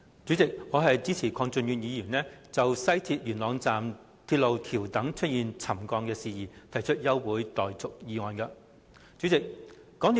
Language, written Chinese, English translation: Cantonese, 主席，我支持鄺俊宇議員就港鐵西鐵線元朗段架空鐵路橋躉出現沉降的事宜，提出休會待續議案。, President I support the adjournment motion proposed by Mr KWONG Chun - yu to debate on the subsidence of viaduct piers of Yuen Long section of MTR West Rail Line